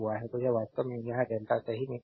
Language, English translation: Hindi, So, this actually it is in delta right